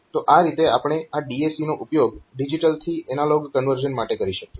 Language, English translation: Gujarati, So, this way we can use this DAC for this digital to analog conversion ok